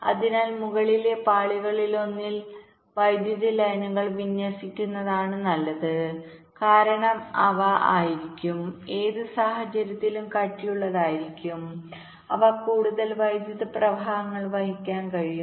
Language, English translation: Malayalam, so it is better to layout the power lines on one of the top layers because they will be, they will be thicker in any case, they can carry more currents